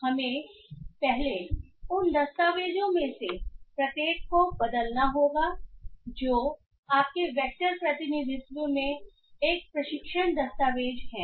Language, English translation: Hindi, So we have to first convert each of those document which is a training document into a vectorial representation